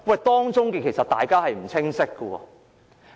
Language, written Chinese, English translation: Cantonese, 當中其實有不清晰之處。, There are in fact ambiguities in this respect